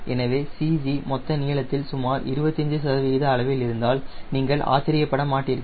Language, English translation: Tamil, so there, you wont be surprised if the c g is between around twenty five percent of the total length